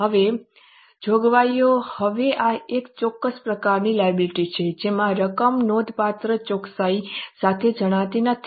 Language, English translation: Gujarati, Now, this is a specific type of liability wherein the amount is not known with substantial accuracy